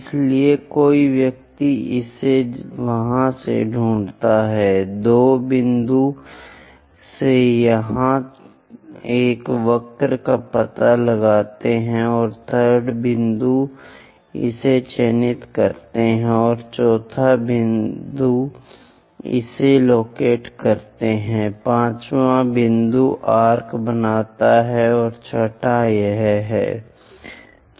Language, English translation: Hindi, So, one locate it there, from 2nd point locate a curve here and 3rd point locate it and 4th point locate it, 5th point make an arc, now 6th one this